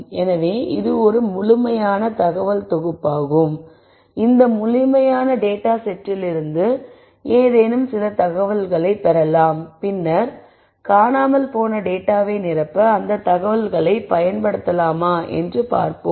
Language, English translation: Tamil, So, this is a complete set of information, so we could possibly derive something out of this complete set of data some information out of this data and then see whether we could use that information to fill in the missing data